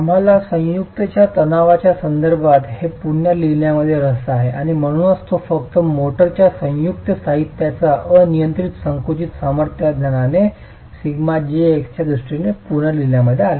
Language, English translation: Marathi, We are interested in rewriting this in terms of the stress in the joint and therefore it's just rewritten in terms of sigma j x with the knowledge of the uniaxial compressive strength of the motor joint material itself